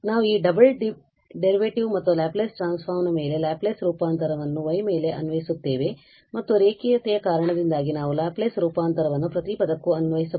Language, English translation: Kannada, So, we will apply the Laplace transform so Laplace transform on this double derivative plus Laplace transform on this y and due to linearity, we can apply to each